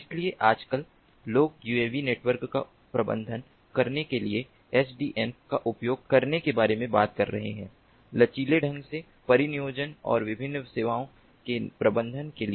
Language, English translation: Hindi, so now a days people are talking about using sdn to manage uav networks for deploying ah, ah, flexibly deploying and managing different services